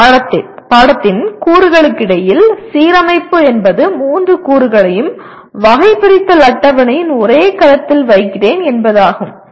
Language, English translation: Tamil, Alignment among the elements of a course means that I am putting all the three elements in the same cell of the taxonomy table